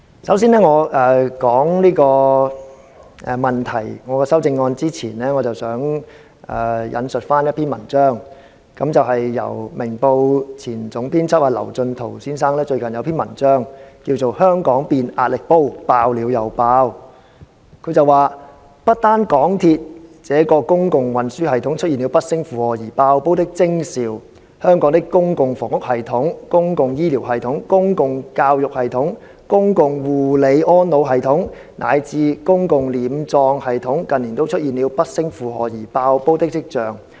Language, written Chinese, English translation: Cantonese, 首先，在我談論這個問題及我的修正案前，我想先引述一篇文章，是《明報》前總編輯劉進圖先生最近一篇名為"香港變壓力煲，爆了又爆"的文章，他說："不單港鐵這個公共運輸系統出現了不勝負荷而'爆煲'的徵兆，香港的公共房屋系統、公共醫療系統、公共教育系統、公共護理安老系統，乃至公共殮葬系統，近年都出現了不勝負荷而'爆煲'的跡象。, Before I talk about the issue under discussion and my amendment let me first quote a few lines from an article written recently by Mr Kevin LAU the former chief editor of Ming Pao Daily News . In this article entitled With Hong Kong turning into a pressure cooker successive explosions are expected he says The public transport system of mass transit network is not the only public service provider which has been overburdened and has shown a sign of collapse our public housing system public health care system education system elderly care system and even public burial service system have all been overburdened in recent years and have shown a sign of collapse . Although the entire city of Hong Kong is still operating as usual now it is actually overloaded